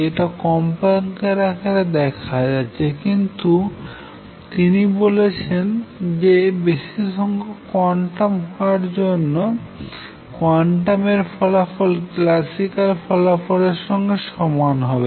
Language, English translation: Bengali, This is observed in terms of frequency, but he is saying now that for large quantum numbers quantum results go over to the corresponding classical results